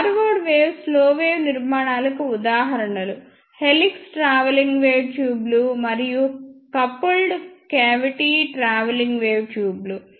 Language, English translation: Telugu, The examples of forward wave ah slow wave structures are helix travelling wave tubes and coupled cavity travelling wave tubes